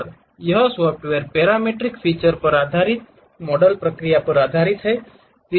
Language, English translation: Hindi, And this software is basically based on parametric featured based model